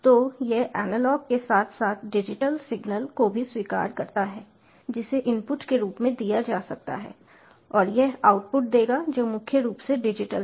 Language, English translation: Hindi, so it accepts analog as well as digital signals which can be given as inputs, and it will give outputs which are mainly digital